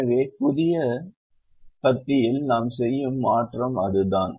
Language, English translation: Tamil, so that is the change that we make in the new column